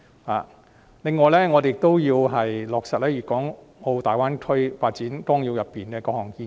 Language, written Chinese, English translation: Cantonese, 此外，我們亦要落實《粵港澳大灣區發展規劃綱要》中的各項建議。, In addition we also need to implement the various proposals of the Outline Development Plan for the Guangdong - Hong Kong - Macao Greater Bay Area